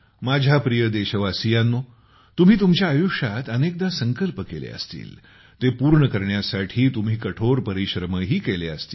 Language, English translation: Marathi, My dear countrymen, you must be taking many resolves in your life, and be you must be working hard to fulfill them